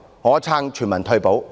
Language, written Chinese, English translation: Cantonese, 我支持全民退保。, I support universal retirement protection